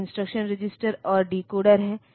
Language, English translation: Hindi, One is the instruction register and decoder